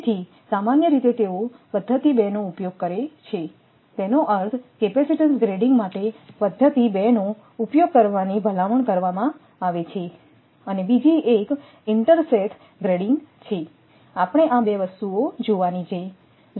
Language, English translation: Gujarati, So, 2 method generally they use it one is the I mean 2 methods are recommended for this capacitance grading and second one is intersheath grading, this 2 things one has to see